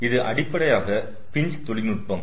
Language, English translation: Tamil, so this is basically pinch technique